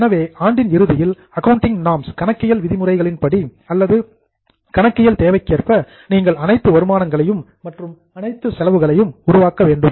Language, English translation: Tamil, So, at the end of the year, as per the accounting norms or as per the accounting requirement, you have to make a list of all incomes and all expense